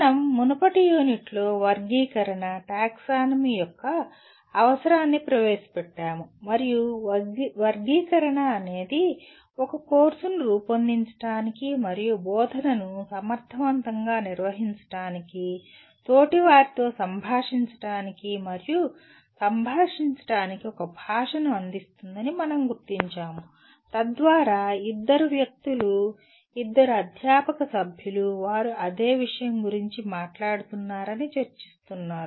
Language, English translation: Telugu, We, in the earlier unit we introduced the need for taxonomy and we noted that taxonomy of learning will provide a language for designing a course and conducting of instruction effectively and also to communicate and interact with peers so that two people, two faculty members when they are discussing they are talking about the same thing